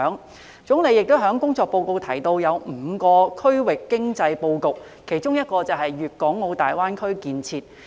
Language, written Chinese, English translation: Cantonese, 國家總理亦在工作報告提到5個區域經濟布局，其中一個便是粵港澳大灣區建設。, The Premier also mentioned the economic layout of five regions in the Government Work Report among which is the development of the Guangdong - Hong Kong - Macao Greater Bay Area GBA